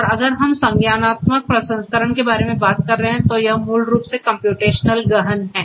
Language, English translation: Hindi, And if we are talking about cognitive processing that basically is computationally intensive